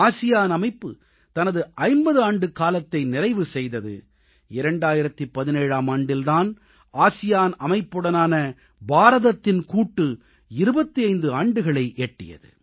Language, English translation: Tamil, ASEAN completed its 50 years of formation in 2017 and in 2017 25 years of India's partnership with ASEAN were completed